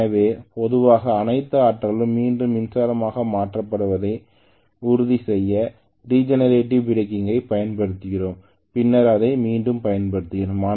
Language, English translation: Tamil, So generally we use regenerator breaking to make sure that all the energy is converted back in to electricity and then we utilise it once again that is what we do, wake him up